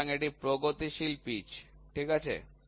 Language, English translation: Bengali, So, this is progressive pitch, ok